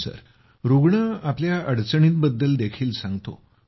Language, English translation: Marathi, Yes, the patient also tells us about his difficulties